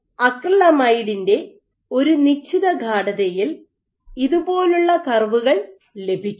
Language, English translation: Malayalam, So, you would see at a given concentration of acrylamide you will get curves like this